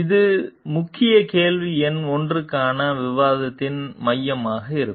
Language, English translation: Tamil, This will be a focus of discussion for key question number 1